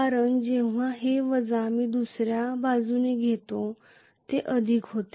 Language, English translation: Marathi, Because this minus when I get it to the other side it will becomes plus